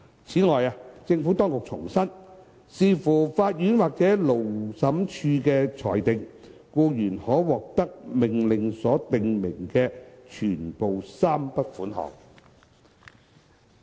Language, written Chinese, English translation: Cantonese, 此外，政府當局重申，視乎法院或勞審處的裁定，僱員可獲得命令所訂明的全部3筆款項。, In addition the Administration has reiterated that depending on the adjudication of the court or Labour Tribunal the employer may be liable to pay all the three sums specified in the order